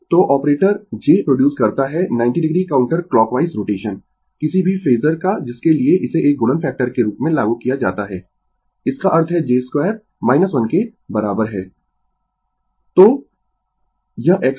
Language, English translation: Hindi, So, operator j produces 90 degree counter clockwise rotation of any phasor to which it is applied as a multiplying factor that is; that means, j square is equal to minus 1